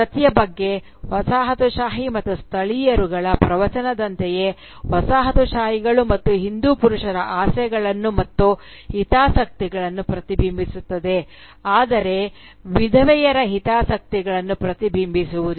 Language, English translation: Kannada, Just like, the colonial and the nativist discourse about Sati, ends up reflecting the desires and interests of the colonisers and the Hindu males, and not that of the widow